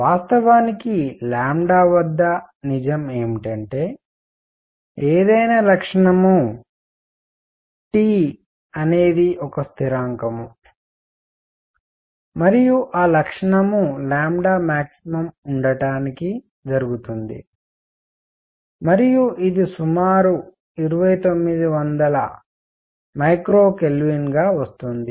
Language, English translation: Telugu, In fact, what is true is at lambda any feature times T is a constant and that feature be happened to take to be the lambda max, and this comes out to be the roughly 2900 micrometer Kelvin